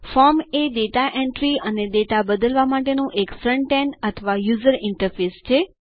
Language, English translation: Gujarati, A form is a front end or user interface for data entry and editing data